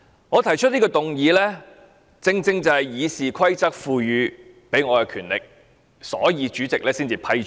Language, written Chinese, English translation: Cantonese, 我提出這項議案，是《議事規則》賦予我的權力，所以獲得主席批准。, President allowed my motion because I am exercising the power vested to me by the Rules of Procedure to move this motion